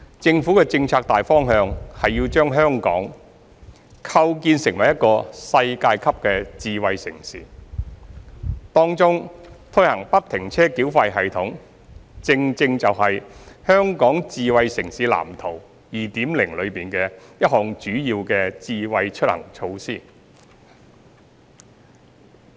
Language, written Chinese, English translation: Cantonese, 政府的政策大方向是要把香港構建成為一個世界級的智慧城市，當中推行不停車繳費系統正正就是《香港智慧城市藍圖 2.0》中一項主要的"智慧出行"措施。, So the Governments key policy direction is to build Hong Kong into a world - class smart city and the free - flow tolling system FFTS is one of the very major Smart Mobility initiatives set out in the Smart City Blueprint for Hong Kong 2.0